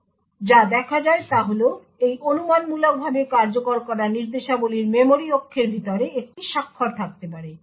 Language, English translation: Bengali, However, what is seen is that these speculatively executed instructions may have a signature inside the memory axis